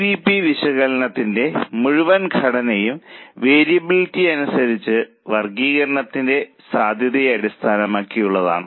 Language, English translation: Malayalam, The whole structure of CVP analysis is based on the possibility of classification as per the variability